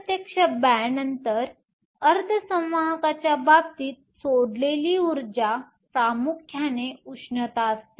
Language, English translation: Marathi, In the case of indirect band gap semiconductors, the energy released is dominantly as heat